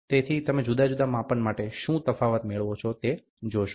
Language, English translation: Gujarati, So, you see what is the difference you get for varying measurements